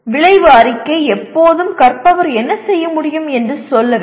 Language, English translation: Tamil, The outcome statement should always say what the learner should be able to do